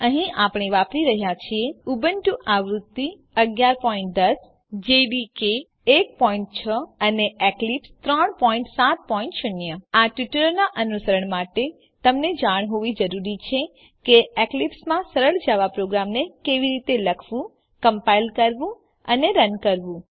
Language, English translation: Gujarati, Here we are using Ubuntu version 11.10 Java Development kit 1.6 and Eclipse 3.7.0 To follow this tutorial you must know how to write, compile and run a simple java program in eclipse